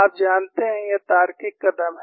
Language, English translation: Hindi, You know, this is the logical step forward